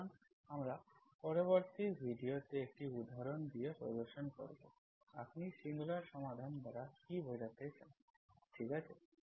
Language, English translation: Bengali, So we will demonstrate with an example in the next video what you mean by singular solutions, okay